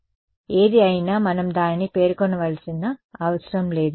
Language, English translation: Telugu, So, whatever it is we do not need to specify it